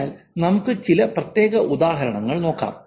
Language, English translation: Malayalam, So, let's look at some specific examples